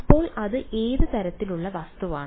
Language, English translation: Malayalam, So, what is what kind of an object is that